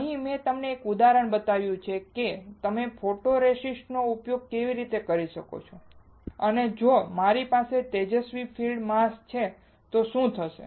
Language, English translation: Gujarati, Here, I have shown you an example how you can use a photoresist and if I have a bright field mask what will happen